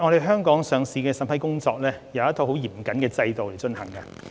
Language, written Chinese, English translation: Cantonese, 香港的上市審批工作按照一套十分嚴謹的制度進行。, The listing approval in Hong Kong is conducted under a stringent regime